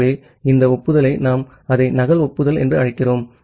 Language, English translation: Tamil, So, this acknowledgement we call it as a duplicate acknowledgement